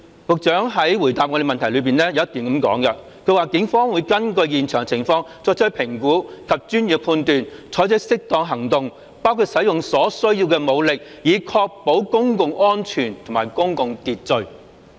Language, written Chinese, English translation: Cantonese, 局長的答覆有一段提及："警方會根據現場情況作出評估及專業判斷，採取適當行動，包括使用所需要的武力，以確保公共安全和公共秩序。, One paragraph of the Secretarys reply reads The Police shall based on the circumstances at the scene make assessments and exercise professional judgment to take appropriate actions which include using necessary force in a bid to ensure public safety and public order